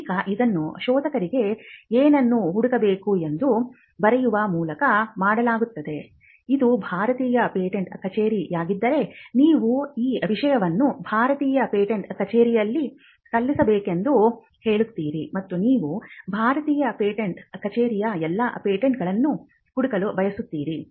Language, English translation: Kannada, Now this is done by writing to the searcher stating what needs to be searched, if it is the Indian patent office you would say that this invention is to be filed in the Indian patent office, and you would want to search all the patents in the Indian patent office